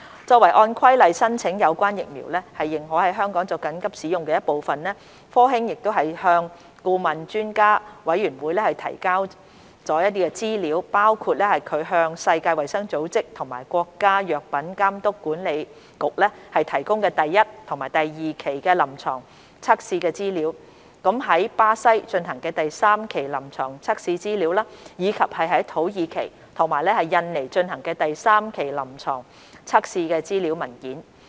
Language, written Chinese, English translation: Cantonese, 作為按《規例》申請有關疫苗認可在香港作緊急使用的一部分，科興向顧問專家委員會提交的資料包括其向世界衞生組織及國家藥品監督管理局提供的第一及第二期臨床測試資料、於巴西進行的第三期臨床測試資料，以及於土耳其及印尼進行的第三期臨床測試資料文件。, As part of the application of the relevant vaccine for emergency use in Hong Kong in accordance with the Regulation Sinovac has provided to the Advisory Panel the Phases 1 and 2 clinical data that it had submitted to the World Health Organization WHO and the National Medical Products Administration the Phase 3 clinical information of trials conducted in Brazil as well as the Phase 3 clinical information of trials conducted in Turkey and Indonesia